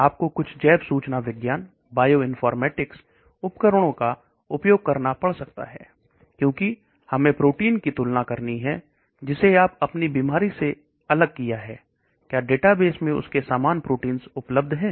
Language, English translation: Hindi, You may have to use some bioinformatics tools, because we may have to compare the protein which you have isolated for your disease, are there similar proteins available the databases